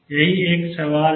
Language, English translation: Hindi, That is one question